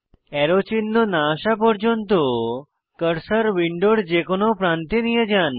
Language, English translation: Bengali, Take the cursor to any corner of the window till it changes to an arrow indicator